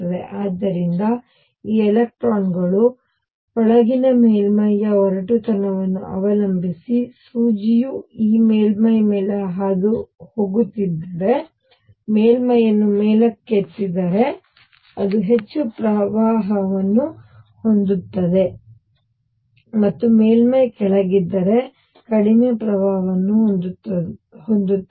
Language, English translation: Kannada, So, if there this electrons inside depending on the roughness of the surface as the needle is passing over this surface, it will have more current if the surface is lifted up and less current if the surface is down